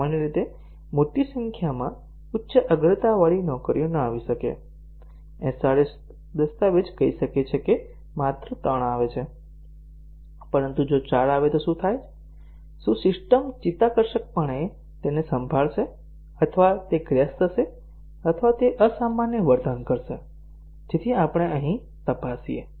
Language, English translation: Gujarati, Normally, a large number of high priority jobs may not arrive; the SRS document may say that only 3 arrive, but what happens if 4 arrive, would the system gracefully handle that or would it crash or would it behave abnormally, so that is what we check here